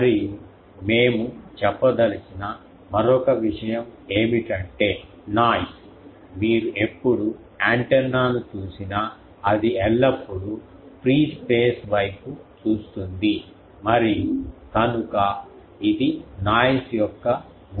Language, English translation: Telugu, And another thing we wanted to say is about the noise that, you see antenna whenever it is, it is always looking towards the free space and so it is a source of noise